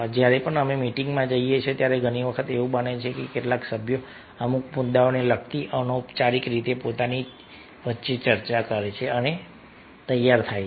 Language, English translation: Gujarati, whenever we are going to have a meeting, many times is happens that some of the members discuss among themselves informally related to certain issues and come prepared